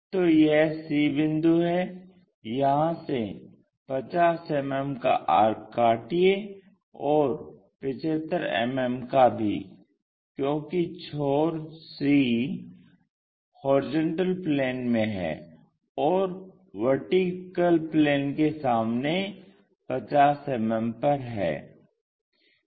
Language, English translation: Hindi, So, this is the c point locate 50 mm cut and also 75 mm cut, because end C is in HP and 50 mm in front of vertical plane, I am sorry